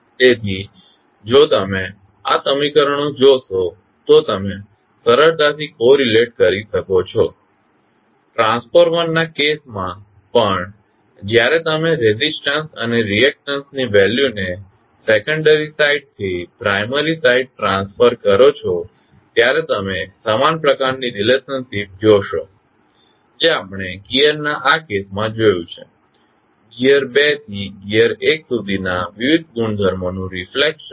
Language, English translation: Gujarati, So, if you see these equations you can easily correlate, in case of transformer also when you transfer the resistance and reactance value from secondary side to primary side you will see similar kind of relationship, as we see in this case of gear, the reflection of the various properties from gear 2 to gear 1